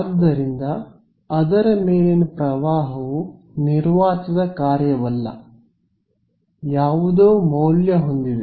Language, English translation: Kannada, So, the current over it is not a function of space is just some value